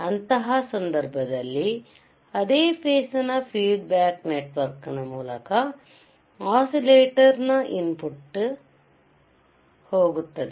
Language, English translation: Kannada, In that case the same phase will go to the input of the oscillator through feedback network